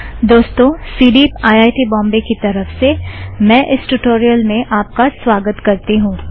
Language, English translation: Hindi, On behalf of CDEEP, IIT Bombay, I welcome you to this Tutorial